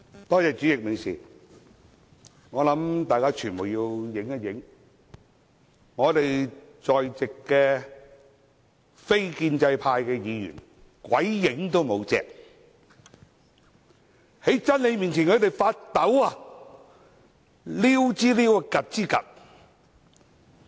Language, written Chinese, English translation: Cantonese, 代理主席，我想傳媒拍一下現場，席上非建制派議員鬼影都沒有，他們在真理面前發抖，溜之大吉。, Deputy President I would like to invite media organizations to pan across the Chamber not even one non - establishment Member is present . They shudder before the truth and have thus all sneaked away